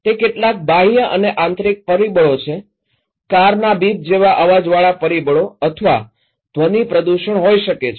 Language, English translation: Gujarati, It could be some external and internal factors, external factors like the beep of car or sound pollutions